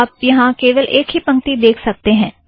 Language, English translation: Hindi, You can see only one line here